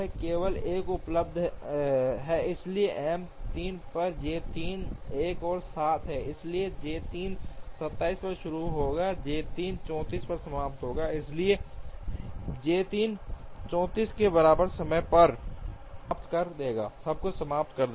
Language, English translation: Hindi, Now, J 1 J 2 are already completed J 3 is the only one available, so J 3 on M 3 is another 7, so J 3 will start at 27 and J 3 will finish at 34, so J 3 will finish everything at time equal to 34